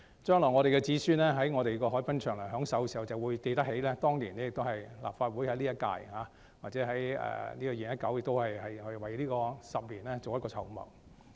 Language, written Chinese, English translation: Cantonese, 將來我們的子孫在海濱長廊享受時，便會記起當年，即今屆立法會，在2019年為未來10年作出籌謀。, When our future generations enjoy the promenades they will remember that back in 2019 the current - term Legislative Council has contributed to the planning for the next decade